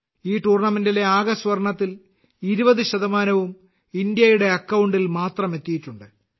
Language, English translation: Malayalam, Out of the total gold medals in this tournament, 20% have come in India's account alone